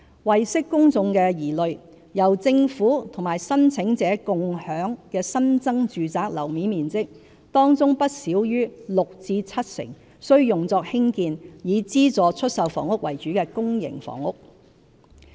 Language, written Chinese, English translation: Cantonese, 為釋公眾疑慮，由政府與申請者"共享"的新增住宅樓面面積，當中不少於六成至七成須用作興建以資助出售房屋為主的公營房屋。, To dispel public worries not less than 60 % to 70 % of the increase in floor areas shared between the Government and applicants must be used for public housing development mainly SSFs